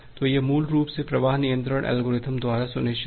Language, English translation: Hindi, So, this is basically ensured by the flow control algorithms